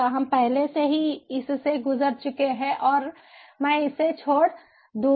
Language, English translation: Hindi, we have already gone through it and i will skip it